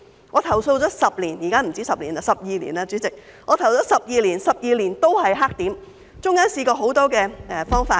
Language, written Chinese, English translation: Cantonese, 我投訴了10年——現在已不止10年，是12年，代理主席——我投訴了12年，但12年都仍是黑點，其間也試過很多方法。, I have been complaining for 10 years―it has been more than 10 years and should be 12 years by now Deputy President―I have been complaining for 12 years but it has remained a blackspot for 12 years . In the meantime I have tried many ways to deal with the issue